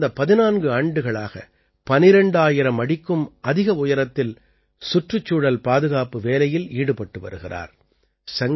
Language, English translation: Tamil, For the last 14 years, he is engaged in the work of environmental protection at an altitude of more than 12,000 feet